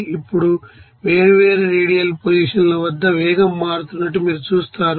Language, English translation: Telugu, Now at different radial position you will see that velocity will be changing